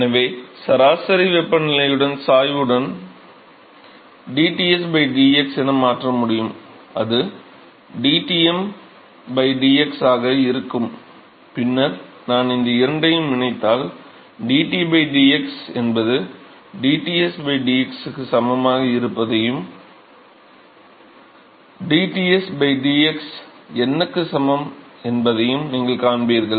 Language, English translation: Tamil, So, for I can replace dTs by dx with the gradient of the average temperature so that will be dTm by dx, then if I joint these two together, you will find that dT by dx that is equal to dTsbydx and that is also equal to dTs by dx n